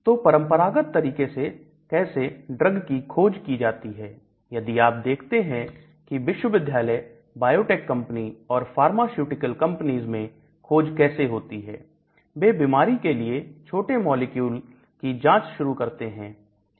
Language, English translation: Hindi, If you look at it what happened was researchers in universities, biotech companies or pharmaceutical companies they started screening small molecules for disease